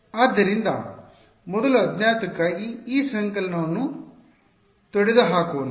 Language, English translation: Kannada, So, first unknown let us get rid of this summation